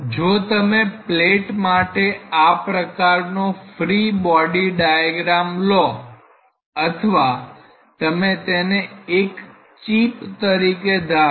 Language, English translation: Gujarati, So, there is so, if you consider the sort of free body diagram for the plate or if you want to think it as a chip